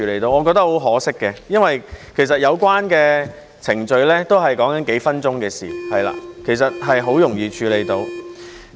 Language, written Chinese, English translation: Cantonese, 我覺得很可惜，因為其實有關程序也是數分鐘的事情，很容易便能處理。, I think it is a pity as the procedure takes only a few minutes and can be dealt with easily